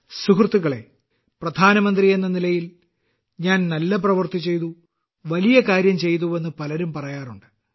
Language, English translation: Malayalam, Friends, many people say that as Prime Minister I did a certain good work, or some other great work